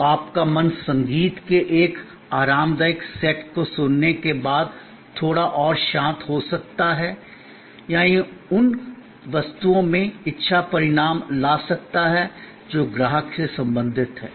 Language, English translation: Hindi, So, your mind may be a bit more calmer after listening to a relaxing set of music or it can bring about desire result in objects that belong to the customer